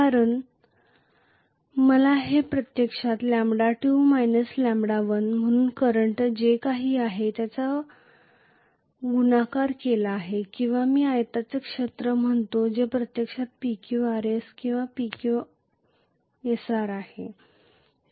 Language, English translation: Marathi, Because I have to write this as actually lambda 2 minus lambda 1 multiplied by whatever is the current or I may say area of the rectangle which is actually PQRS or PQSR whatever